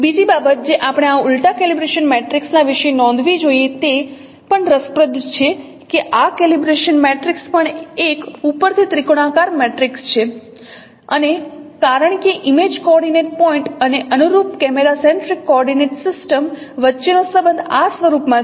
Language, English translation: Gujarati, This is also interesting to note that this calibration matrix is also an upper triangular matrix and since the relationship between the image coordinate point and the corresponding camera centric coordinate system is in this form